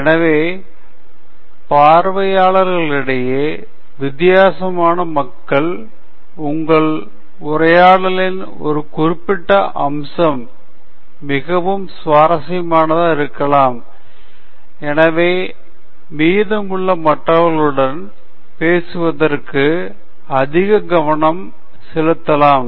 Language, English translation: Tamil, So, for different people in the audience, there may be a particular aspect of your talk that is more interesting, and so they may pay more attention to that aspect of your talk relative to the rest of it